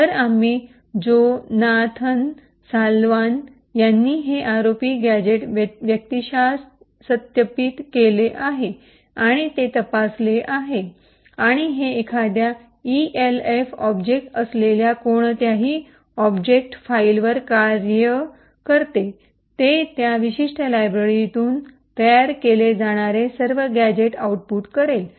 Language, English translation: Marathi, So, we have personally verified and checked this ROP gadget, by Jonathan Salwan and it works on any object file provided is an ELF object, it would output all the gadgets that can be created from that particular library